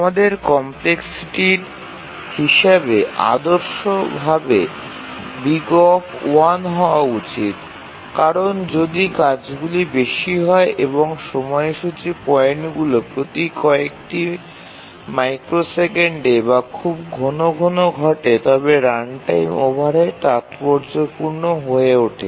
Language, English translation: Bengali, We should ideally have O1 as the complexity because if the tasks are more and the scheduling points occur very frequently every few microseconds or so, then the runtime overhead becomes significant